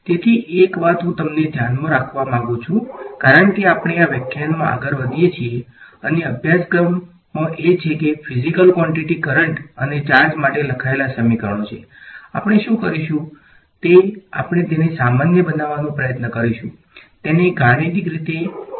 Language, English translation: Gujarati, So, one thing I would like you to keep in mind as we go ahead in this lecture and in the course is that there are equations which are written for physical quantities currents and charges, what we will do is we will try to generalize it to make it in a mathematical way which will give us more power